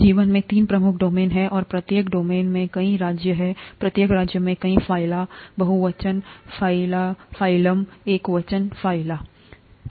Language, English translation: Hindi, There are three major domains in life, and each domain has many kingdoms, each kingdom has many phyla, phylum, plural, phylum singular, phyla plural